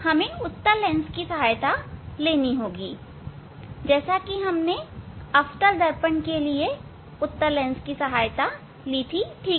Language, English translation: Hindi, we have to take help of convex lens as we took help of convex lens in case of convex mirror